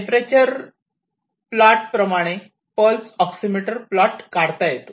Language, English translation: Marathi, So, this is the temperature plot and likewise this pulse oximeter that is there